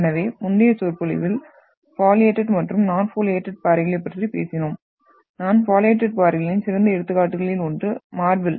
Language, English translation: Tamil, So in the previous lecture, we talked about the foliated and the non foliated rocks and this is one of the best example of non foliated rocks that is marble